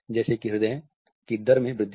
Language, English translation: Hindi, For example, increased rate of heart